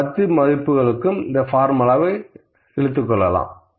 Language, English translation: Tamil, I will drag this formula to all this 10 values